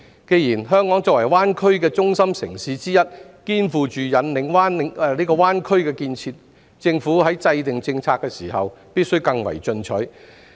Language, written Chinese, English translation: Cantonese, 既然香港作為灣區的中心城市之一，肩負引領灣區建設的重任，政府在制訂政策時，必須更為進取。, Since Hong Kong being one of the core cities in GBA shoulders the important responsibility of leading the GBA development the Government should be more proactive in formulating its policies